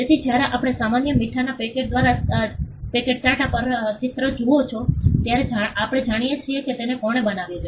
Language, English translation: Gujarati, So, when we see the Tata mark on a packet of common salt, we know who created it